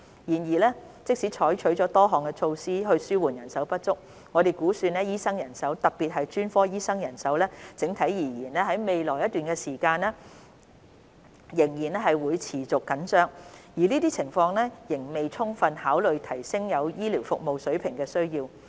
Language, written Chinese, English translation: Cantonese, 然而，即使採取了多項措施紓緩人手不足，我們估算醫生人手——特別是專科醫生人手——整體而言，在未來一段長時間仍會持續緊張，而這情況仍未充分考慮提升現有醫療服務水平的需要。, Nevertheless even though various measures have been taken to relieve the manpower shortage it is estimated that overall the manpower of doctors particularly specialists will remain tight for a long period and the need to enhance the existing healthcare service standard is yet to be fully considered